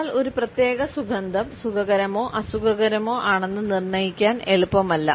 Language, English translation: Malayalam, But it is not easy to diagnose a particular scent as being pleasant or unpleasant one